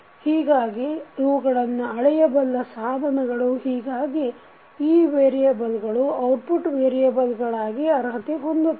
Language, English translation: Kannada, So, these are measurable quantity so that is way these variables can be qualified as an output variable